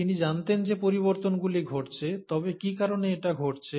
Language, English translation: Bengali, He knew that the changes are happening, but what is causing it